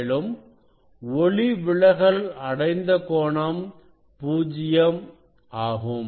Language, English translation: Tamil, refracted angle also will be 0